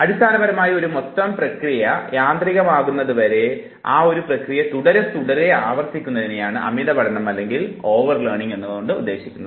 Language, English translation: Malayalam, Now, the process of over learning, basically means that you keep on keep on keep on repeating it to an extent that the whole process becomes automated